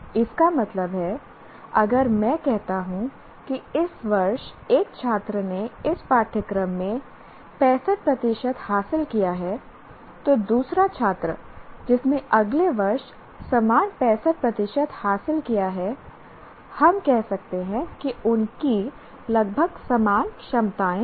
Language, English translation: Hindi, That means if I say this year a student has achieved 65% in this course, another student who achieved the same 65% next year, we can say they are approximately same abilities